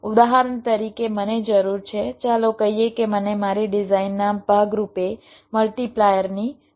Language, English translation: Gujarati, for example, i need lets say, i need a multiplier as part of my design